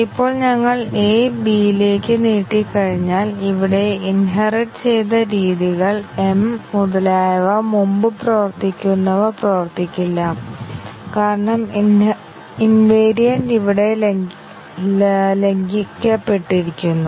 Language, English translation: Malayalam, Now, once we had extended A into B, the methods which are inherited here, m, etcetera which are working earlier will fail to work because the invariant has been violated here